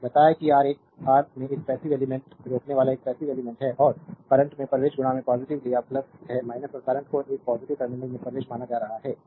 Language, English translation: Hindi, I told you that R is a R is a passive element resistor is a passive element and current entering into the positive we have taken plus minus and assuming current entering a positive terminal